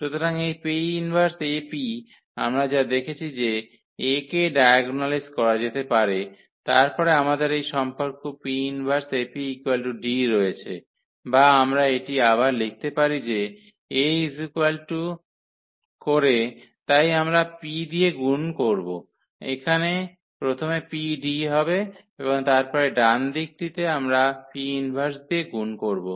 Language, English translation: Bengali, So, this P inverse AP what we have seen that A can be diagonalized then we have this relation P inverse AP is equal to D or we can rewrite it that A is equal to so we multiply by P here first there will be PD and then the right side we will multiply by P inverse